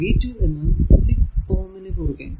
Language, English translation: Malayalam, So, v 2 will be minus 6 into I